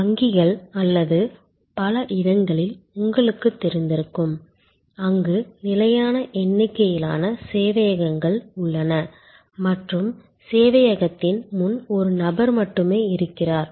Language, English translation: Tamil, You are familiar at banks or many other places, where there are fixed number of servers and there is only one person in front of the server